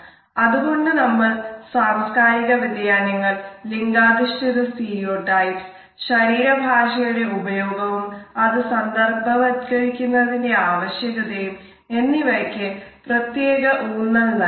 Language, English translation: Malayalam, It is therefore, particularly important for us to focus on the cultural differences, the gender stereotypes and the use of body language and the necessity of contextualizing our body language